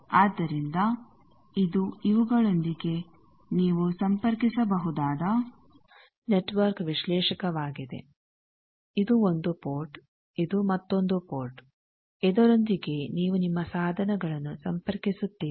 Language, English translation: Kannada, So, this is a network analyzer you can connect with these; this is 1 port, this is another port, with this you connect your devices